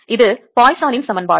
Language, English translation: Tamil, this is the poisson's equation